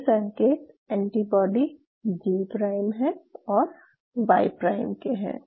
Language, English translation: Hindi, That this sign is saying that this is an antibody G o prime Y prime